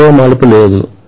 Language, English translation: Telugu, There is no other turn